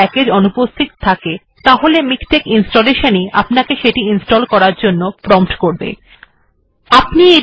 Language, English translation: Bengali, When a package is missing, package installation of miktex will prompt you for installing it